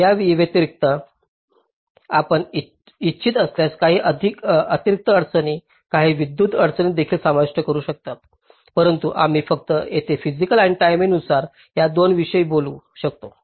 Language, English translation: Marathi, so in addition, you can also incorporate some additional constraints, some electrical constraints if you want, but we only talk about these two here: physical and timing